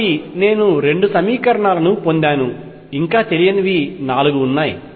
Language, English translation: Telugu, So, I have gotten two equations, still there are four unknowns